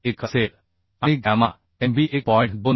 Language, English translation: Marathi, 1 and gamma mb is 1